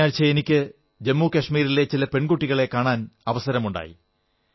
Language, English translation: Malayalam, Just last week, I had a chance of meeting some daughters of Jammu & Kashmir